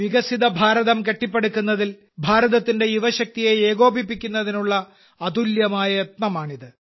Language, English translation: Malayalam, This is a unique effort of integrating the youth power of India in building a developed India